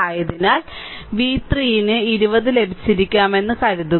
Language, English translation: Malayalam, So, I think v 3 will might have got 20